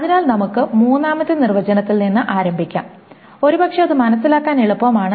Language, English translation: Malayalam, So, let us start from the third definition, probably that is easiest to understand